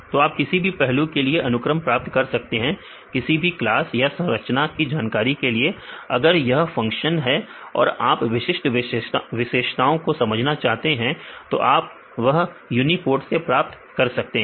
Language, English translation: Hindi, Yeah you can say get the sequence for any aspects for whatever the classes or the information structure if it is the function if you want to understand these specific features you can get obtained from this uniprot